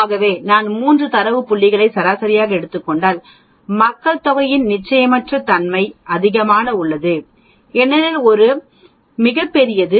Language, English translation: Tamil, So if I take only 3 data points and take a mean the uncertainty on the population mean is higher because this is much larger